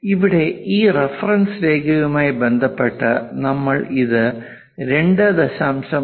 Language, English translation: Malayalam, Here, with respect to this reference line, we are showing it as 2